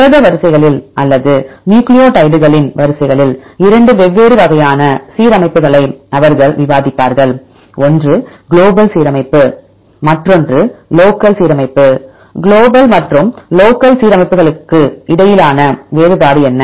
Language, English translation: Tamil, They will discuss 2 different types of alignments in protein sequences or nucleotides sequences right one is global alignment, another is local alignment; what is the difference between global and local alignments